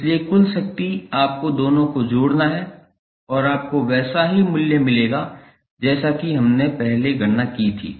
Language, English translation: Hindi, So, therefore the total power you have to just add both of them and you will get the same value as we calculated previously